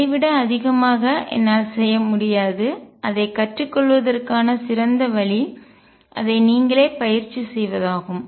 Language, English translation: Tamil, I cannot do more than this and the best way to learn it is to practice it yourself